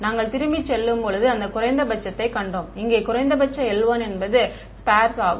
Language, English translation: Tamil, We have seen that minimum when we go back over here minimum l 1 meant sparse